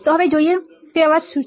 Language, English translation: Gujarati, So, let us see what are the type of noises